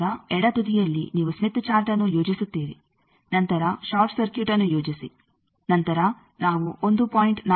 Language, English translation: Kannada, So, it is at the left end you plot the Smith Chart then plot the short circuit then we have seen that we will have to move 1